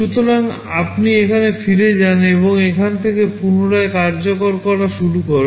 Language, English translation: Bengali, So, you return back here and resume execution from here